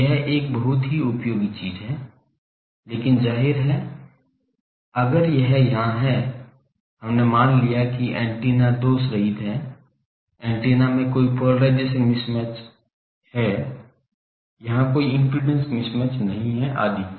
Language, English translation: Hindi, So, this is a very useful thing but if obviously, if this there are there here, we have assumed that the antenna are lossless, the antennas are there are no polarization mismatch, there are no impedance mismatch etc